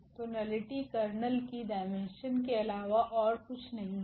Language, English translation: Hindi, So, the nullity is nothing but the dimension of the kernel